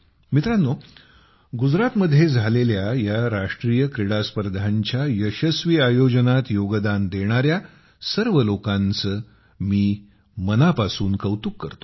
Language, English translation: Marathi, Friends, I would also like to express my heartfelt appreciation to all those people who contributed in the successful organization of the National Games held in Gujarat